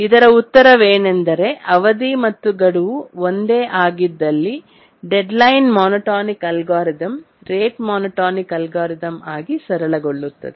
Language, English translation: Kannada, With little thinking, we can say that if the period and deadline are the same, then of course the deadline monotonic algorithm it simplifies into the rate monotonic algorithm